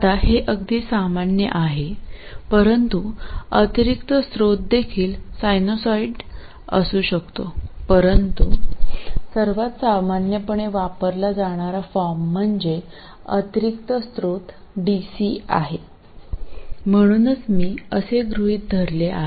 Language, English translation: Marathi, Now this is quite the common case but it doesn't have to be the additional source can also be a sinusoid but the most simple form the most commonly used form is where the additional source of power is DC so that's what I am going to consider